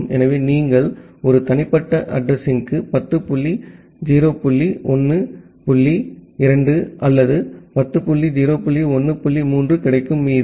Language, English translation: Tamil, So, you are making a mapping to one of the private address either 10 dot 0 dot 1 dot 2 or 10 dot 0 dot 1 dot 3 based on the availability